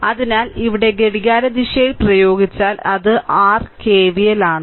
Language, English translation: Malayalam, So, here if you apply clockwise you take that is your KVL